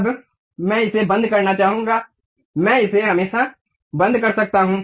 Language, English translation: Hindi, Now, I would like to close it; I can always close it